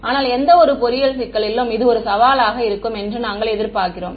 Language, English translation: Tamil, But we expect this to be a challenge in any engineering problem